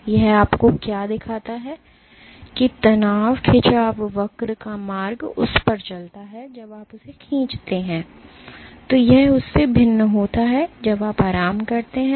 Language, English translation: Hindi, So, what it shows you that the path the stress strain curve follows at that when you stretch it, is different than the one it follows when you relax